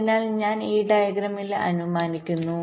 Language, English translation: Malayalam, let say so i am assuming in this diagram